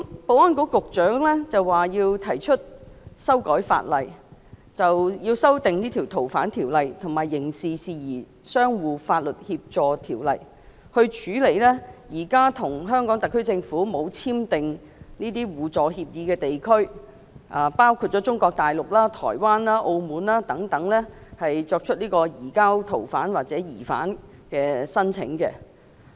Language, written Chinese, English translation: Cantonese, 保安局局長提出修訂《逃犯條例》及《刑事事宜相互法律協助條例》，以處理現時未有與香港特區政府簽訂互助法律協議的地區——包括中國大陸、台灣、澳門等——所提出移交逃犯或疑犯的申請。, The Secretary for Security currently proposes to amend the Fugitive Offenders Ordinance and the Mutual Legal Assistance in Criminal Matters Ordinance in order to handle requests for the surrender of fugitive offenders or suspects from places such as Mainland China Taiwan and Macao where no mutual legal assistance agreement has been signed with the Hong Kong SAR Government